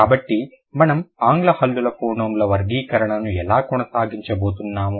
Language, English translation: Telugu, So, that's how we are going to proceed for classification of English consonant phonemes